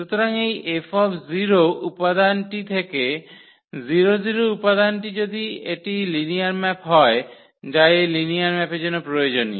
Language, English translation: Bengali, So, this F must map the 0 0 element to the 0 0 element if it is a linear map that is a necessary condition of this linear map